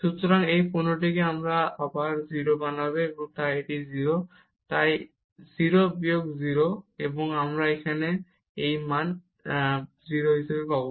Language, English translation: Bengali, So, this product will make this again 0, and this is 0, so 0 minus 0 and we will get again this value as 0